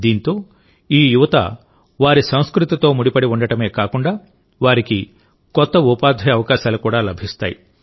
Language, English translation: Telugu, With this, these youth not only get connected with their culture, but also create new employment opportunities for them